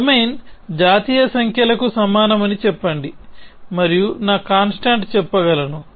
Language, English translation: Telugu, Let us say domain is equal to national numbers and I can say my constant